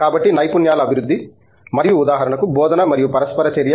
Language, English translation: Telugu, So, I think skills development, both moved and for example, teaching and interaction